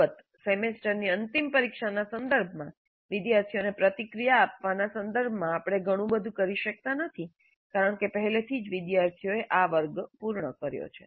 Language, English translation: Gujarati, And with respect to semistudent examination, of course, there is not much we can do in terms of providing feedback to the students because already the students have completed this class